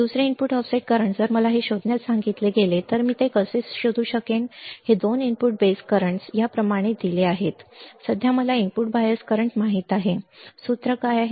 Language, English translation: Marathi, Second input offset current if I am asked to find this how can I find this the 2 input base currents are given like this right now I know input bias current what is the formula